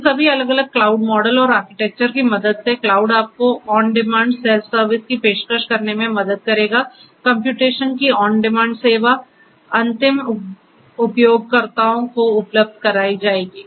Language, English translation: Hindi, Cloud with the help of all of these different cloud models and architectures will help you to offer on demand self service, on demand you know service of computation, computation services on demand will be made available to the end users